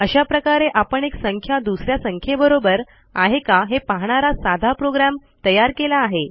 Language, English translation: Marathi, So we would have already created a simple program to tell us if one number equals another